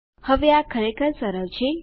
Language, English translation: Gujarati, Now, this is really easy